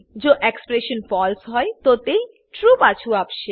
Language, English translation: Gujarati, It will return true if the expression is false